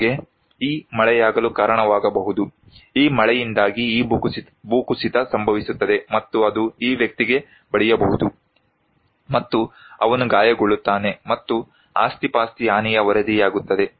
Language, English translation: Kannada, Like, it can cause that this rainfall because of the rainfall, this landslide will take place and it may hit this person and he will be injured and property loss will be reported